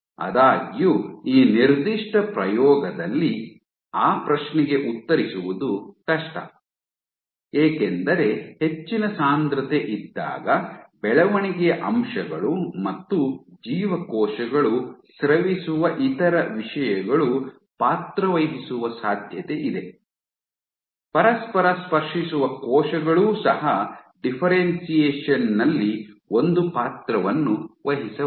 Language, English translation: Kannada, so however, this particular experiment it is difficult to answer that question because it can very well be possible that when you have high density, the growth factors, other things that they the cells secrete might have a role to play, also the cells touching each other might also have a role to play in this differentiation